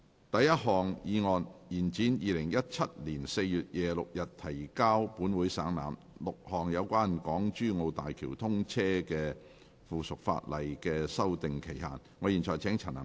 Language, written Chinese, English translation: Cantonese, 第一項議案：延展於2017年4月26日提交本會省覽 ，6 項有關港珠澳大橋通車的附屬法例的修訂期限。, First motion To extend the period for amending the six items of subsidiary legislation relating to the commissioning of the Hong Kong - Zhuhai - Macao Bridge which were laid on the Table of this Council on 26 April 2017